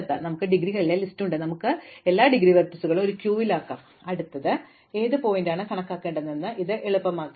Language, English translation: Malayalam, Now, we have the list of indegrees, so we can put all the indegree vertices into a queue, this makes it easy to find which vertex to enumerate next